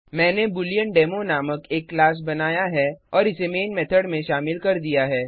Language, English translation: Hindi, I have created a class BooleanDemo and added the Main method